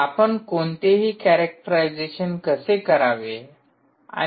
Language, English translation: Marathi, how will you do any characterization